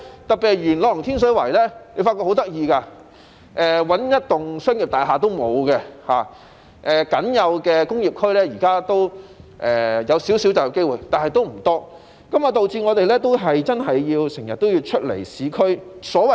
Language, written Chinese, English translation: Cantonese, 特別是元朗和天水圍的情況很有趣，那裏一幢商業大廈也沒有，現時僅有的工業區提供少許就業機會，但為數不多，導致市民經常要前往市區上班。, In particular the cases of Yuen Long and Tin Shui Wai are very interesting as there is not even a single commercial building while the only industrial zone has provided some but not many employment opportunities